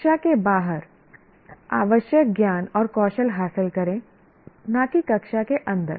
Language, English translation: Hindi, Acquire the required knowledge and skills outside the classroom, not inside the classroom